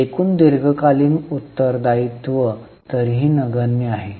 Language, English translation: Marathi, Other long term liabilities are any way negligible